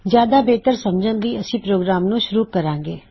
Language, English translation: Punjabi, For a better understanding, let us start the program